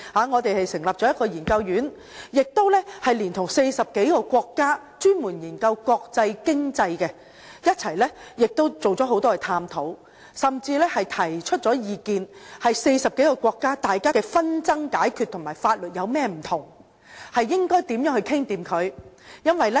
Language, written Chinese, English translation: Cantonese, 我們成立研究院，連同40多個國家專門研究國際經濟的人士進行多次探討，甚至提出意見，內容關於40多個國家的紛爭解決方法、法律差異及如何達成共識。, We established a research institution and conducted numerous studies in collaboration with experts on international economy from over 40 countries with topics ranging from conciliation differences between the legal systems and mechanism for reaching consensus among these countries . We even put forward our recommendations in these areas